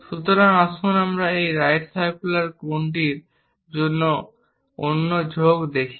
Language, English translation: Bengali, So, let us look at the other inclined section, for the same right circular cone